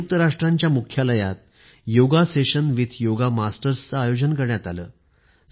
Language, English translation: Marathi, A 'Yoga Session with Yoga Masters' was organised at the UN headquarters